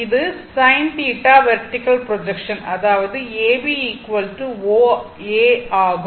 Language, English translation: Tamil, It is your ah sin theta vertical projection; that means, A B is equal to right